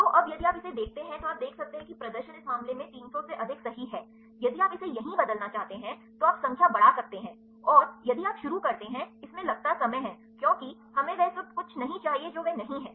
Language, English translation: Hindi, So, now, if you see this you can see the display is more than three 100 right in this case if you want to change it right here, you can increase the number and, if you start it takes a time because we need to not everything it is not